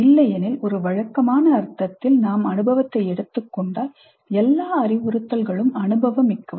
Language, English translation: Tamil, Otherwise in a usual sense if we take experience, all instruction is experiential